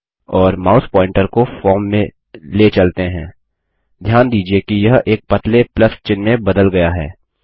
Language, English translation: Hindi, And let us move the mouse pointer into the form notice that it has changed to a thin plus symbol